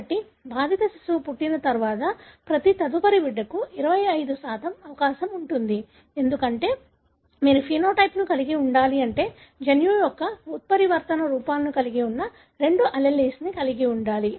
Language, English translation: Telugu, So, after the birth of an affected child, each subsequent child has 25% chance, because, for you to have the phenotype you have to have both alleles carrying the mutant forms of the gene